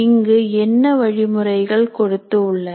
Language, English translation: Tamil, And what are the guidelines they give here